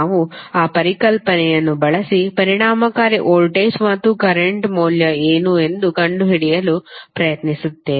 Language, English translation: Kannada, So we will use that concept and we try to find out what is the value of effective voltage and current